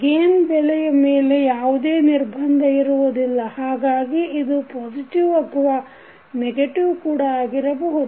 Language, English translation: Kannada, There is no restriction on the value of the gain, so it can be either positive or negative